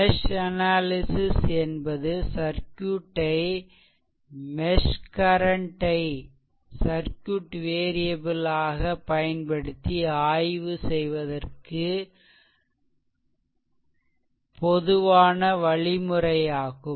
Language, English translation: Tamil, So, mesh analysis is a general proceed your for analyzing circuit using mesh current as the ah circuit variables